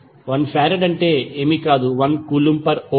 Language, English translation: Telugu, 1 farad is nothing but, 1 Coulomb per Volt